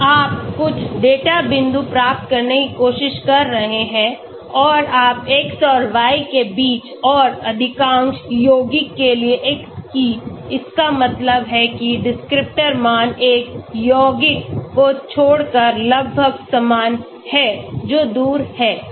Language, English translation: Hindi, You are trying to get few data points and you are plotting between the x and the y and for most of the compounds the x, that means the descriptor values are almost same except for one compound, which is far away